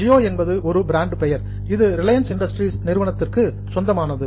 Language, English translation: Tamil, So, Gio is a brand name which is owned by Reliance Industries